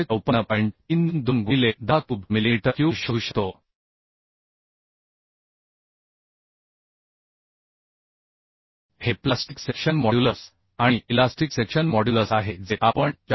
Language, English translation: Marathi, 32 into 1some 0 cube millimeter cube This is plastic section modulus and elastic section modulus we can find out as 4made 88